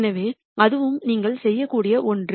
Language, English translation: Tamil, So, that is also something that you could do